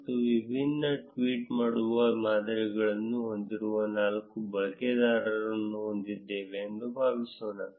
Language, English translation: Kannada, Suppose we have four users, who have different tweeting patterns